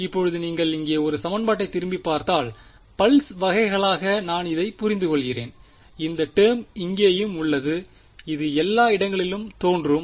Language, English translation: Tamil, Now if you look back at this equation over here, this is what I am discretising as pulses there is this term also over here which is going to appear everywhere